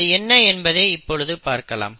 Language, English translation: Tamil, Now let us look at what will happen